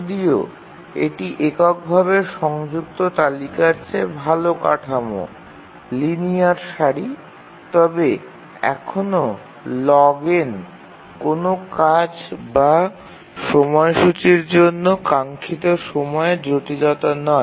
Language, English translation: Bengali, So even though it is a better structure than a singly linked list a linear queue, but still log n is not a very desirable time complexity for a task for a scheduler